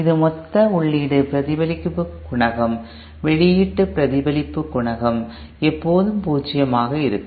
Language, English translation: Tamil, That is the total input reflection coefficient and output reflection coefficient will always be zero